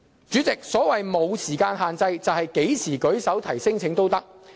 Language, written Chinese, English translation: Cantonese, 主席，所謂"無時間限制"，是指何時提出聲請也可以。, President by no time limit I mean that they can lodge a claim anytime